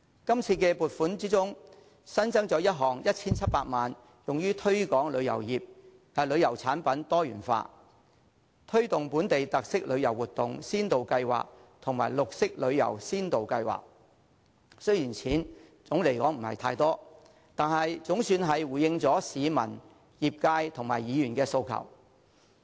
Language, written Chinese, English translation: Cantonese, 這次撥款中新增一項 1,700 萬元用於推廣旅遊產品多元化，推動本地特色旅遊活動先導計劃和綠色深度遊先導計劃，雖然總的而言金額並不多，但總算回應了市民、業界和議員的訴求。, In this funding application an additional 17 million is being sought for promoting the diversification of tourism products including the Pilot scheme to promote tourism projects with local characteristics and the Pilot scheme to promote green tourism . Although the funding involved is not huge the Government has at least responded to the demands of the public the tourism industry and Members